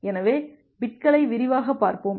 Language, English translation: Tamil, So, we will look into the flag bits in detail